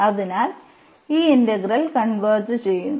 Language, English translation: Malayalam, So, this is not convergent